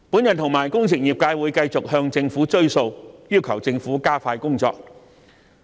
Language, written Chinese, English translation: Cantonese, 我和工程業界會繼續向政府"追數"，要求政府加快工作。, The engineering sector and I will continue to press the Government to speed up its work